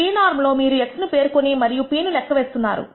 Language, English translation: Telugu, In p norm you are specifying x and computing p